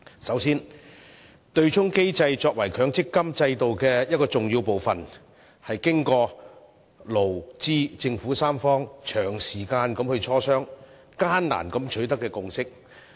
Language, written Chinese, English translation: Cantonese, 首先，對沖機制作為強積金制度的重要部分，是經過勞、資和政府三方長時間的磋商，艱難地取得的共識。, First of all the offsetting mechanism as an important component of the MPF System represents the tripartite consensus reached by employers employees and the Government after prolonged discussions